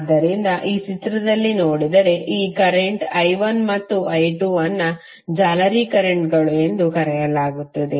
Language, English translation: Kannada, So if you see in this figure, these currents I1 and I2 are called as mesh currents